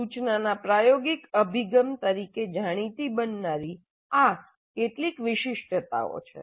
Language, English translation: Gujarati, So these are some of the distinguishing features of what has come to be known as experiential approach to instruction